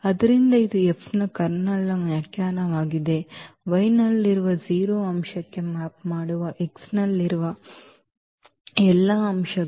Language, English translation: Kannada, So, this is the definition of the kernel of F; all the elements in X which map to the 0 element in Y